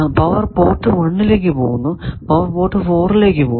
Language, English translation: Malayalam, Power is going to port 1 power is going to port 4 nothing is also coming to 3